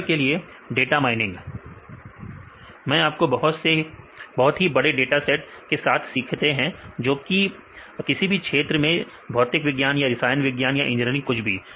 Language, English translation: Hindi, For example in the data mining, you can learning from very large datasets right maybe you can take in physics or the chemistry or the engineering sites whatever